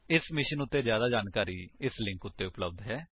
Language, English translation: Punjabi, More information on this mission is available at [2]